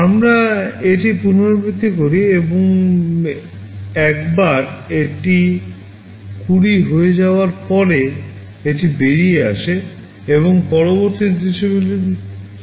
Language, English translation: Bengali, We repeat this and once it becomes 20, it comes out and continues with the next instruction